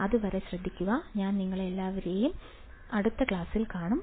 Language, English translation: Malayalam, Till then take care, I will see you all in the next class, bye